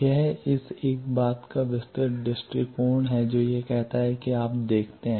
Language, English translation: Hindi, This is a detail view of this one thing it says that you see there are